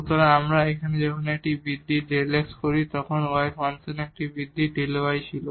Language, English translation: Bengali, So, here when we make an increment delta x then there was a increment delta y in the function y